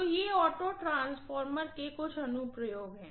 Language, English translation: Hindi, So these are some of the applications of auto transformer